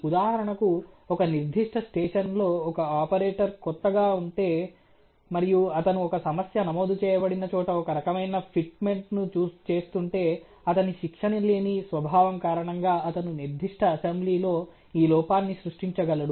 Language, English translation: Telugu, For example, if in operator is a new on a particular station and he is doing some kind of a fitment where there is a recorded problem, because of his untrained nature he may be able to create this defect in the particular assembly in question